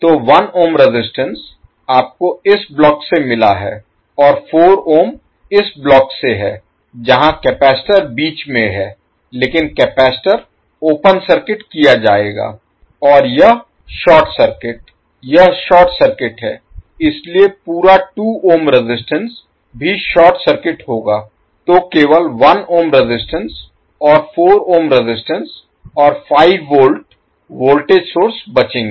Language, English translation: Hindi, So 1 ohm resistance you got from this particular section and 4 ohm is from this section where you have capacitor in between but capacitor will be open circuited and this is short circuit, this is short circuit so the complete left 2 ohm resistance will also be short circuited, so you will left with only 1 ohm and 4 ohm resistances and 5 volt voltage source